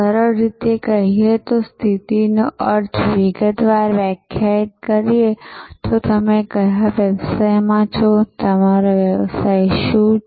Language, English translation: Gujarati, Simply put positioning means, defining in detail, what business you are in, what is your service business all about